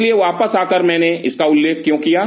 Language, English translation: Hindi, So, coming back, why I mentioned this